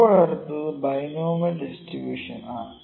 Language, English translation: Malayalam, Now, next is binomial distribution